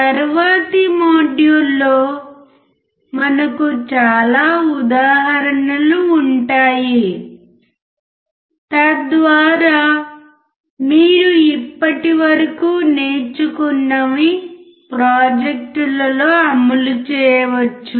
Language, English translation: Telugu, We will have several examples in the next module so that whatever you have learnt so far can be implemented in projects